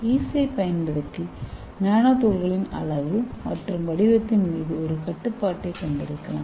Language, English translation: Tamil, Using the yeast, we can have a controlled size and shape of nanoparticles can be easily achieved